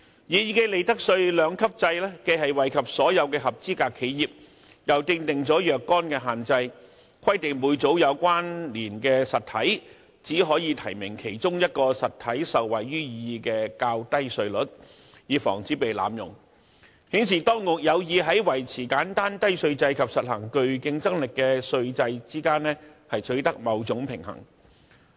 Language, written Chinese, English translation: Cantonese, 擬議的利得稅兩級制既惠及所有合資格企業，又訂定了若干限制，規定每組"有關連實體"只可以提名其中一個受惠於擬議的較低稅率，以防止此減稅措施被濫用，顯示當局有意在維持簡單低稅制及實行具競爭力的稅制之間取得某種平衡。, The proposed two - tiered regime will benefit all eligible enterprises and at the same time impose certain restrictions . It is provided that each group of connected entities may only nominate one entity in the group to benefit from the proposed lower tax rates in order to prevent abuse of this tax reduction . This indicates that the authorities are determined to strike a balance between maintaining a simple and low tax regime and implementing a competitive tax regime